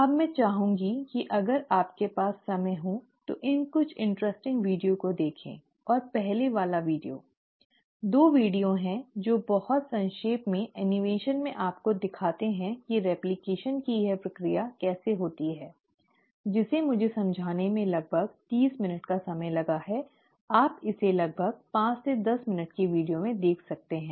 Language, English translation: Hindi, Now, I would like you to, if you have time, to go through some of these fun videos and the first one is, there are 2 videos which very briefly in animation actually show to you exactly how this process of replication takes place, what has taken me about 30 minutes to explain you can see it in about 5 to 10 minutes video